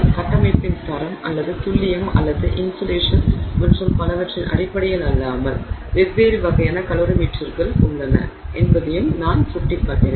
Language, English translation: Tamil, I also indicated that there are different types of calorie meters not simply in terms of the quality of the build or the, you know, precision or the level of incitation and so on